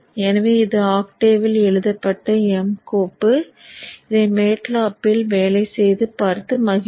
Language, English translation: Tamil, So this is an M file written an octave it will work in MATLAB 2 try it out and enjoy that